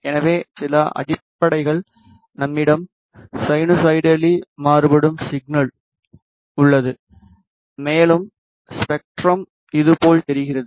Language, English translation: Tamil, So, some basics we have a sinusoidally varying signal v of t equal to A cos 2 pi f 1 of t, and ideally the spectrum looks like this